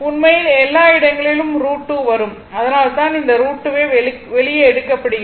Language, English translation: Tamil, Actually everywhere root 2 will come that is why this root 2 is taken outside, right